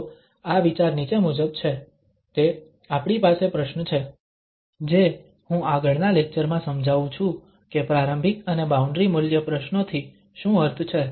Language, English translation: Gujarati, So the idea is as follows: That, we have the problem which in the next lecture I will brief what do we mean by initial and boundary value problems